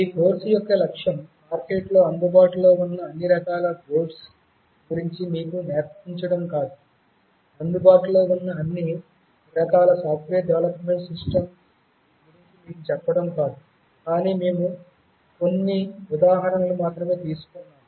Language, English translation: Telugu, The objective of this course was not to teach you about all the kinds of boards that are available in the market, to tell you about all the kinds of software development systems which are available, but rather we have taken a couple of examples only